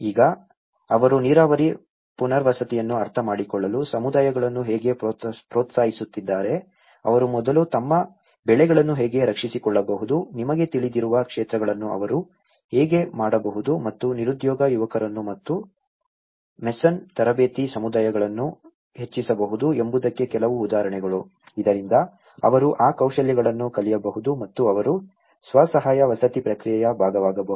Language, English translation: Kannada, Now, some of the examples of how they are also encouraging the communities to be able to understand the irrigation rehabilitation, how they can first safeguard their crops, how they can fields you know, and enhance the unemployment youth and the communities of the mason training, so that they can learn that skills and they can be a part of the self help housing process